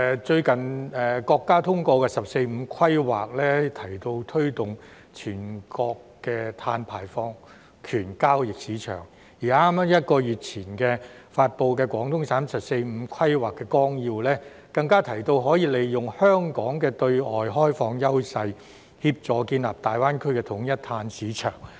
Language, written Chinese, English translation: Cantonese, 最近國家通過的"十四五"規劃提到推動全國的碳排放權交易市場，而在剛剛1個月前發布的廣東省"十四五"規劃綱要，更提到可以利用香港的對外開放優勢，協助建立大灣區的統一碳市場。, The 14 Five Year Plan endorsed by the State recently mentioned the promotion of national markets for trading carbon emission rights and in the Outline of the 14 Five - Year Plan published by the Guangdong Province just a month ago it is even mentioned that an integrated carbon market can be established in the Greater Bay Area by leveraging on Hong Kongs advantage of being an open economy